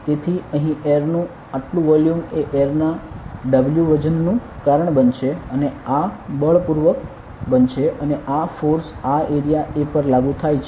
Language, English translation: Gujarati, So, this much volume of air over here will cause a weight of W air and this will create a forcefully and this force acts on this area A